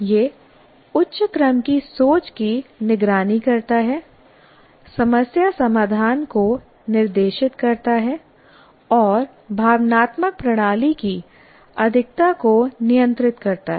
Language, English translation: Hindi, It monitors higher order thinking, directs problem solving and regulates the excess of emotional system